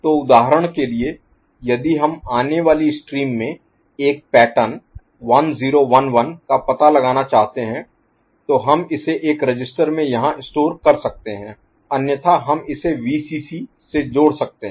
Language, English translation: Hindi, So, for example if we want to detect a pattern in the incoming stream 1 0 1 1 we can store it over here in a register, otherwise we can connect it to Vcc